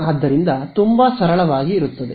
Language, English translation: Kannada, So, very simply there will be